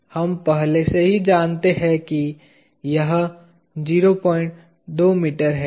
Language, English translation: Hindi, We already know that this is 0